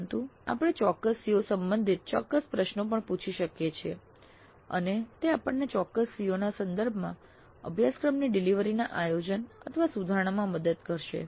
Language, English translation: Gujarati, But we can also ask specific questions related to specific COs and that would help us in planning, improving the delivery of the course with respect to specific CEOs